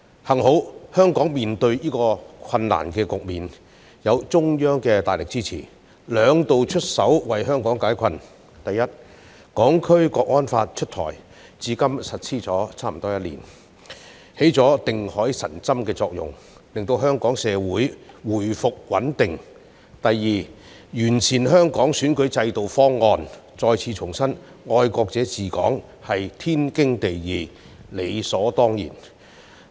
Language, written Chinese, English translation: Cantonese, 幸好，香港在面對這些困難時，有中央的大力支持，兩度出手為香港解困：第一，《香港國安法》出台，至今法例實施差不多一年，已發揮定海神針的作用，令香港社會回復穩定；第二，制訂完善香港選舉制度方案，再次重申愛國者治港是天經地義，理所當然。, Fortunately Hong Kong has when faced by these difficulties the strong support from the Central Government which has twice taken steps to relieve Hong Kong of its difficulties First the introduction of the National Security Law for Hong Kong which has been in force for almost a year now and played the role of stabilizer to restore social stability in Hong Kong; second the formulation of the proposal to improve Hong Kongs electoral system reaffirming that the principle of patriots administering Hong Kong is a done thing